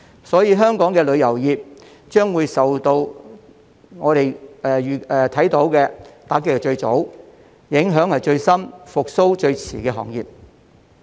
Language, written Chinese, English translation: Cantonese, 所以，香港的旅遊業將會是我們所看受到打擊最早、所受影響最深、復蘇最遲的行業。, So the tourism industry in Hong Kong is the earliest to be hit the hardest and the latest to recover